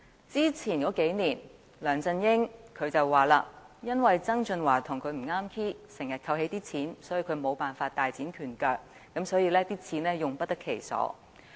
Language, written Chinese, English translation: Cantonese, 之前數年，梁振英說由於曾俊華與他不咬弦，以致財政資源經常被扣起，令他無法大展拳腳，財政儲備亦用不得其所。, For the past several years LEUNG Chun - ying grumbled that since John TSANG was at odds with him financial resources were withheld in most cases such that he was unable to give full play to his abilities and our fiscal reserves could not be put to proper uses